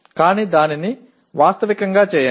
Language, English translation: Telugu, But make it realistic